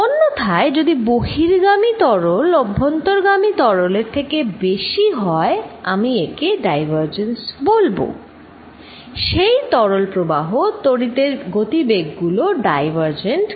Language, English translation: Bengali, On the other hand if fluid going out is greater than fluid coming in I will say this divergent, the fluid flow, the velocities of the current divergent